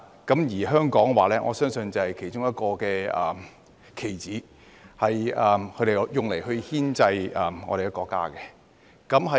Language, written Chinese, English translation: Cantonese, 我相信香港就是其中一個棋子，被他們用來牽制我們的國家。, I believe that Hong Kong is one of the pawns that they use to keep our country in check